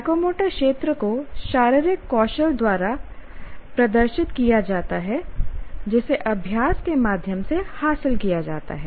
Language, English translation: Hindi, And the psychomotor domain is demonstrated by physical skills which are acquired through practice